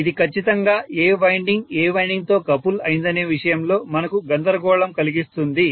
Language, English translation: Telugu, This will definitely confuse the hell out of us as to which winding is coupled with which winding